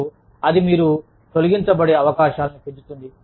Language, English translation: Telugu, And, that in turn, increases the chances of, you being laid off